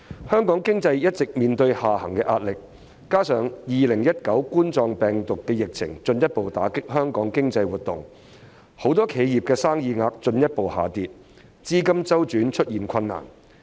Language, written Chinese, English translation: Cantonese, 香港經濟一直面對下行壓力，加上2019冠狀病毒病疫情進一步打擊香港經濟活動，很多企業的生意額進一步下跌，資金周轉出現困難。, Hong Kong economy has been facing downward pressure coupled with the outbreak of the Coronavirus Disease 2019 which has further dealt a blow to the economic activities in Hong Kong many enterprises suffer from a further plunge in business turnover resulting in liquidity problem